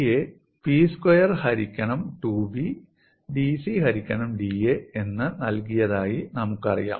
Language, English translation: Malayalam, We know that G is given as P square by 2B dC by da